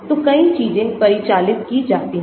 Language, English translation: Hindi, So, many things are parameterized